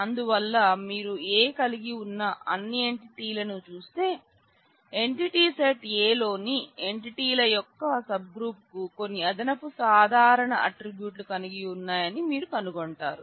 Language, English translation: Telugu, So, if you look at all the entities that A may have you will find that a subgroup of the entities in the entity set A have some additional common properties